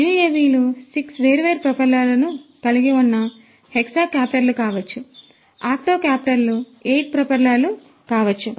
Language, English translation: Telugu, UAVs could be hexacopters having 6 different propellers, could be octocopters 8 propellers and so on